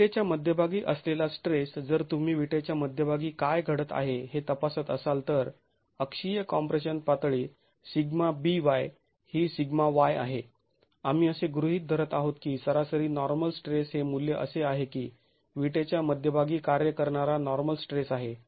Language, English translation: Marathi, The stress at the center of the brick, if you were to examine what is happening at the center of the brick, the axial compression level, sigma b is sigma y, we are assuming that the average normal stress is the value which is the normal stress acting at the center of the brick